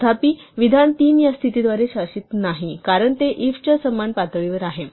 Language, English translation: Marathi, However, statement 3 is not governed by this condition, because it is pushed out to the same level as the if